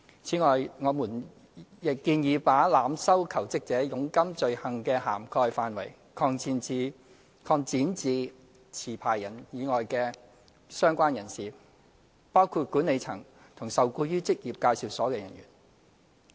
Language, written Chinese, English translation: Cantonese, 此外，我們亦建議把濫收求職者佣金罪行的涵蓋範圍，擴展至持牌人以外的相關人士，包括管理層及受僱於職業介紹所的人員。, Moreover we propose to also extend the scope of the offence of overcharging jobseekers to cover in addition to the licensee certain persons associated with the licensee including the management and officers employed by the employment agency